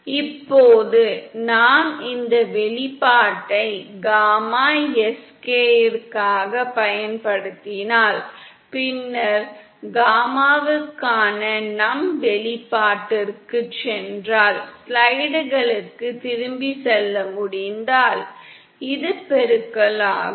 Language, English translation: Tamil, Now if we use this expression for gamma Sk & then if we go back to our expression for gamma in, if we can go back to the slides, so this becomes the product